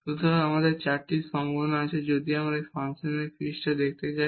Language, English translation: Bengali, So, all these four possibilities are there and if we can see here in the surface of this function